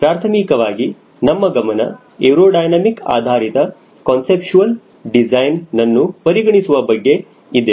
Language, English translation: Kannada, primarily, will you focusing on the conceptual design based on aerodynamic considerations